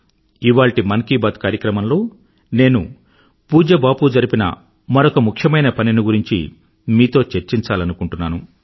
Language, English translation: Telugu, In today's Mann Ki Baat, I want to talk about another important work of revered Bapu which maximum countrymen should know